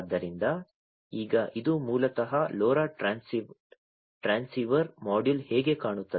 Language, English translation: Kannada, So, now this is basically how the LoRa transceiver module looks like